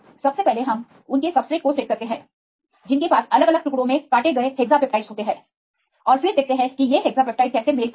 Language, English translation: Hindi, First, we set the subset of the residues they have the hexapeptides cut into different pieces and then see how these hexapeptides matches